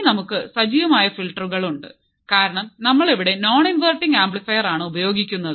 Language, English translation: Malayalam, Then we have active filters, because we are using a non inverting amplifier